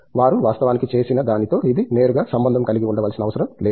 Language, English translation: Telugu, It need not be directly related to what they have actually done